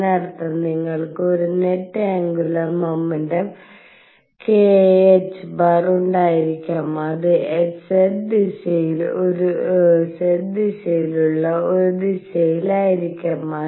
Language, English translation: Malayalam, What that means, is that you could have a net angular momentum k h cross and it could be in a direction which is in the z direction